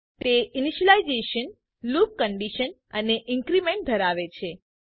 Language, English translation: Gujarati, It consisits of initialization, loop condition and increment